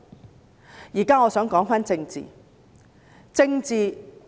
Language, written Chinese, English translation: Cantonese, 我現在想說回政治。, Now I wish to talk about politics